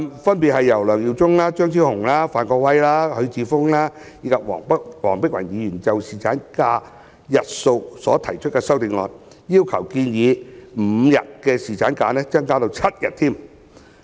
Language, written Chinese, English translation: Cantonese, 分別由梁耀忠議員、張超雄議員、范國威議員、許智峯議員及黃碧雲議員就侍產假日數所提出的修正案，要求建議5天的侍產假增至7天。, These amendments which are proposed by Mr LEUNG Yiu - chung Dr Fernando CHEUNG Mr Gary FAN Mr HUI Chi - fung and Dr Helena WONG respectively seek to extend the proposed five - day paternity leave to seven days . The Democratic Alliance for the Betterment and Progress of Hong Kong DAB and I have reservation about these amendments